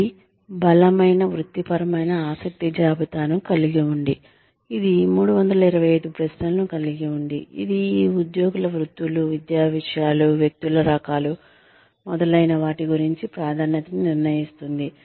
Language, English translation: Telugu, It has a strong vocational interest inventory, which has 325 questions, that determine the preference, of these employees, about occupations, academic subjects, types of people, etcetera